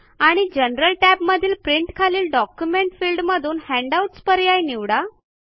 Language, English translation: Marathi, And in the General tab, under Print, in the Document field, choose Handout